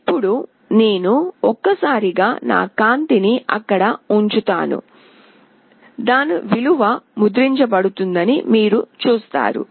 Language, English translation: Telugu, Now I will put my hand there once, you see what value it is getting printed